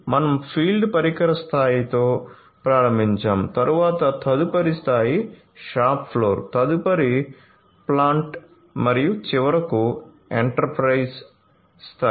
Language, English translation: Telugu, So, we started with the field device level, then the next level higher up was the shop floor then the plant and finally, the enterprise level